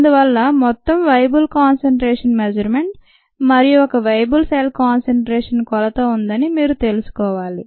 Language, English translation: Telugu, so we need to know that there is a total cell concentration measurement and a viable cell concentration measurement